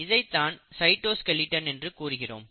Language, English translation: Tamil, So this is possible because of this property of cytoskeleton